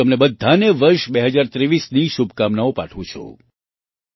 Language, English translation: Gujarati, I wish you all the best for the year 2023